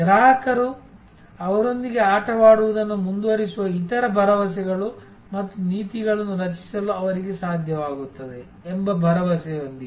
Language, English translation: Kannada, With the hope that they will be able to create other hopes and policies by which the customer will continue to play with them